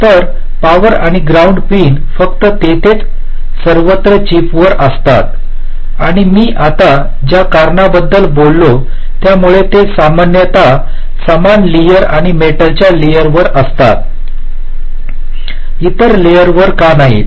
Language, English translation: Marathi, so the power and ground pins are only present across the chip, there everywhere, and because of the reasons i just now talked about, they are typically laid on the same layer and on the metal layer, not on the other layers